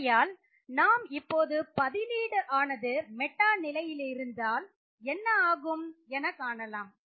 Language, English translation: Tamil, So now let us look at what happens when you have a substituent at the meta position